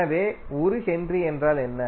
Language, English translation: Tamil, So, what is 1 Henry